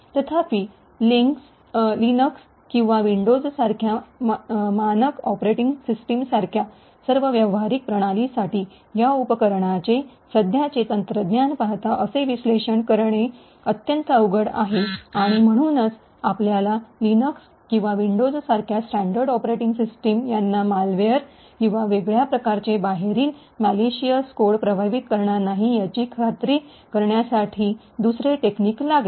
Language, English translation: Marathi, However for all practical systems like standard operating systems like Linux or Windows such, doing such an analysis would be extremely difficult, given the current technology of these tools and therefore we would require other techniques to ensure that standard operating systems like Linux and Windows are not affected by malware or any other kind of external malicious code